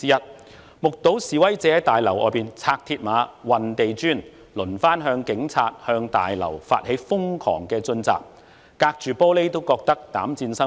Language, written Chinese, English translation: Cantonese, 我們目睹示威者在大樓外拆鐵馬、運地磚，繼而向警隊及立法會大樓發起瘋狂進襲，我們隔着玻璃窗都覺得膽顫心驚。, We watched demonstrators remove mill barriers and move bricks then charge towards the Police and the Legislative Council Complex frantically . We were all panic stricken watching all these behind the window